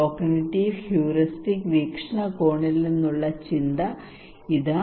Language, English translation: Malayalam, Here is the thought from cognitive and heuristic perspective